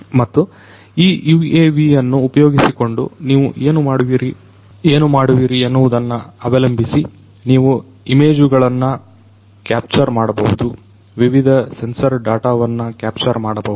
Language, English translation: Kannada, And depending on what you are doing with this UAV you can capture images, you can capture different sensor data